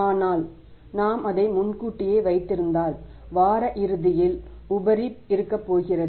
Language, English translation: Tamil, But if we are knowing it in advance that we are going to have surplus balance at the end of the week